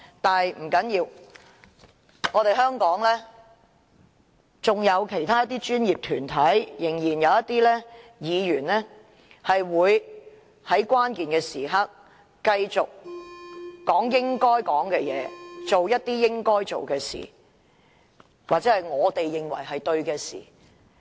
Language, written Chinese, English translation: Cantonese, 但不要緊，香港仍然有一些專業團體和議員會在關鍵時刻繼續說應說的話，做應做的事或我們認為正確的事。, But never mind . In Hong Kong there are still professional bodies and Members who will at critical moments continue to say what should be said and do what should be done or what we consider to be right